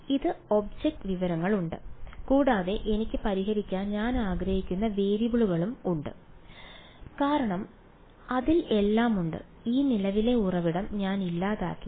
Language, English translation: Malayalam, It has the object information and it has the variable that I want to find out that I want to solve for it has everything and I have eliminated this current source